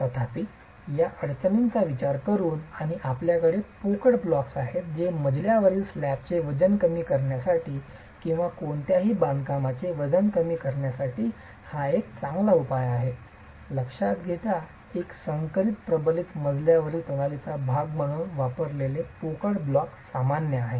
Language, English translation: Marathi, However, considering these difficulties and considering the fact that you have hollow blocks which are a good solution for reducing the weight of floor slabs or weight of any construction, hollow blocks used as a part of a hybrid reinforced floor system is common